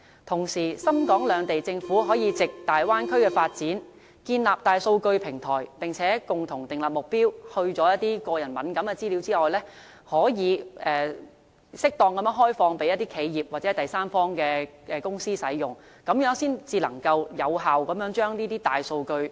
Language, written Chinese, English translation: Cantonese, 同時，深、港兩地政府可藉大灣區發展建立大數據平台，並共同訂立目標，在去除個人敏感資料後，可以適當地開放予企業或第三方公司使用，這樣才能有效釋放大數據。, Moreover the Hong Kong Government and Shenzhen Government can establish a big data platform through the Bay Area development and set a goal together to appropriately open up the data for enterprises or third parties after depersonalizing the data . This will be an effective way to release the big data for usage